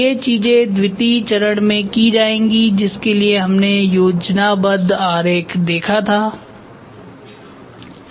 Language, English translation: Hindi, So, these things will be done in phase II where in which we saw the schematic diagram